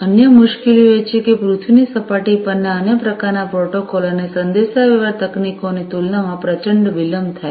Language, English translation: Gujarati, Other difficulties are that there is huge propagation delay compared to the other types of protocols and the communication technologies that are in place in on the terrestrial surface